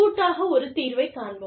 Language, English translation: Tamil, And, let us jointly, find a solution